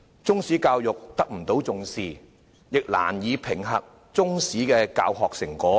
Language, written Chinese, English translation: Cantonese, 中史教育得不到重視，亦難以評核中史的教學成果。, As Chinese history education is not given due importance it is difficult to assess its effectiveness